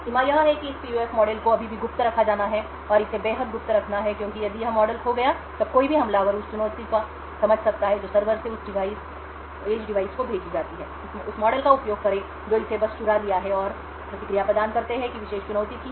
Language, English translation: Hindi, The limitation is that this PUF model still has to be kept secret and it has to be extremely secret because of this model is lost then any attacker could snoop into the challenge that is sent from the server to that edge device, use that model which it has just stolen and provide the response was that particular challenge